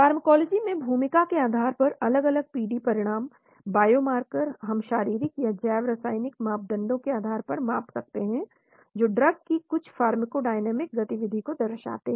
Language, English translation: Hindi, Different PD outcomes by role in Pharmacology, biomarkers we can measure physiological or biochemical parameters that reflect some pharmacodynamic activity of the drug